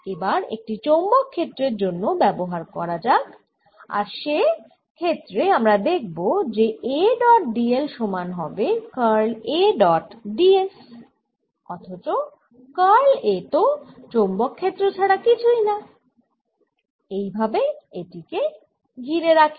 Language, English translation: Bengali, let us now apply this to the magnetic field and in that case what we will see is that a dot d l is equal to curl of a dot d s, but curl of a is nothing but the magnetic field and therefore this s let me enclose this here